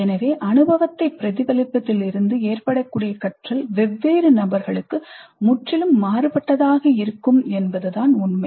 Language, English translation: Tamil, So the idea is that the learning that can happen from reflecting on the experience can be quite quite different for different people